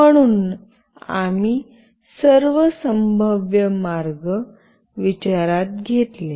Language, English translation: Marathi, So, all the possible ways we have taken into consideration